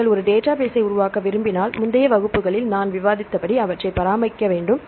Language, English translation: Tamil, to use a database as I discussed in the previous classes if you want to develop a database